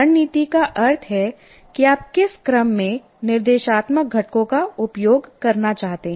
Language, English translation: Hindi, Strategy means in what sequence you want to do, which instructional components you want to use